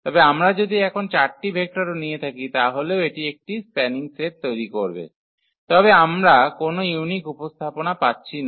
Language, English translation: Bengali, But, if we have taken the 4 vectors still it is forming a spanning set, but we are not getting a unique representation